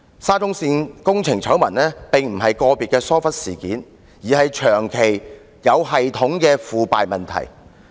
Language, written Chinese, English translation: Cantonese, 沙中線工程醜聞顯然並非個別的疏忽事件，而是長期、有系統的腐敗問題。, The SCL scandal is by no means an individual case of negligence . It represents systematic depravity which has long existed